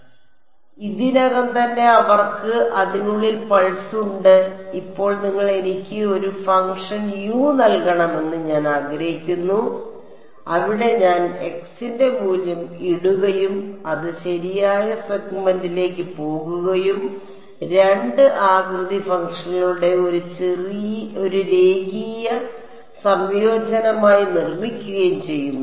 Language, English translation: Malayalam, So, N 1’s are already they already have the pulse inside it, now I want you to give me a function U; where I put in the value of x and it goes to the correct segment and constructs it as a linear combination of 2 shape functions